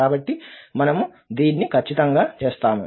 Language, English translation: Telugu, So, we will exactly do this